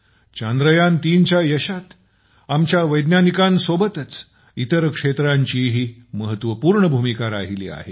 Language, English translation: Marathi, Along with our scientists, other sectors have also played an important role in the success of Chandrayaan3